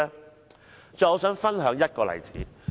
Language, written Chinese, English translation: Cantonese, 我最後想分享一個例子。, Lastly I wish to share an example with Members